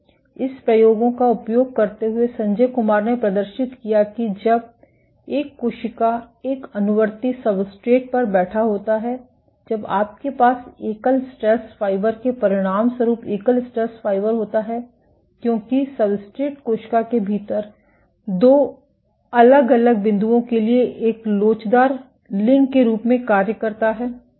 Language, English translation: Hindi, Using this experiments, Sanjay Kumar demonstrated that when a cell is sitting on a compliant substrate when you have a single stress fiber being ablated as a consequence of the single stress fiber because the substrate acts as an elastic link for two different points within the cell